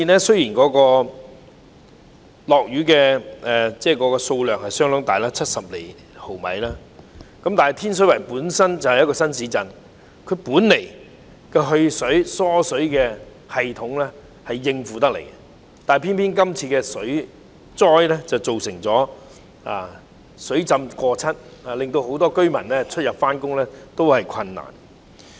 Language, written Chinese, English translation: Cantonese, 雖然今次的降雨量相當大，達到70毫米，但天水圍是一個新市鎮，其排水和疏水系統本應足以應付，但今次水災卻出現水浸過膝的情況，導致很多居民出入和上班都相當困難。, Despite that rainfall as much as 70 mm was recorded that day the drainage system in Tin Shui Wai which is a new town should be able to cope with it originally but when flooding occurred the floodwater even reached above the knees causing great difficulties to many residents in travelling in and out of the district and going to work